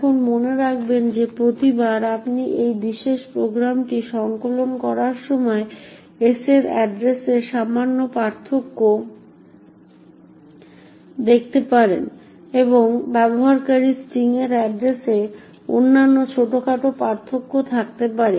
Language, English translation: Bengali, Now note that every time you compile this particular program there may be slight differences in the address of s and other minor differences in the address of user string and so on